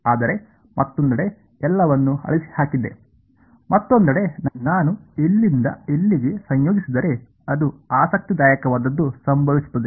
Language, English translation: Kannada, But on the other hand erased everything, on the other hand if I integrate from here to here that is when something interesting will happen right